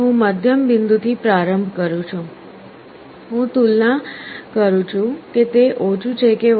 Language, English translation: Gujarati, I start with the middle point, I compare whether it is less or greater